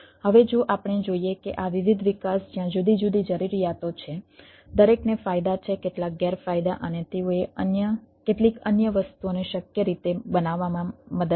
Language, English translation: Gujarati, now, if we ah see that ah, these different development where different needs, everybody has advantages, some bodies advantages and they helped in making some other things in a feasible way